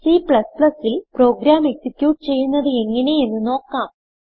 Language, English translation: Malayalam, Now we will see how to execute the programs in C++